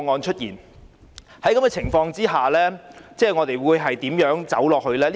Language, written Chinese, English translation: Cantonese, 在這情況下，我們應該如何走下去呢？, Under such circumstances what is the way forward?